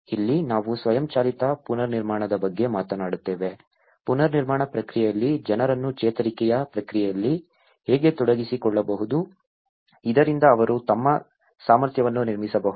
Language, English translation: Kannada, This is where we talk about the self driven reconstruction, how we can engage the people in the recovery process in the reconstruction process so that they can build their capacities